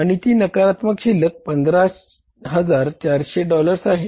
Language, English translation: Marathi, And that negative balance comes out to be by $15,400